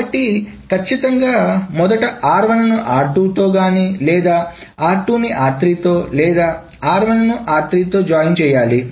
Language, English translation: Telugu, Either it is r1 joined with r2 that is joined with r3 or it is r2 joined with r3 or it is R2 joined with R3 and that is joined with R1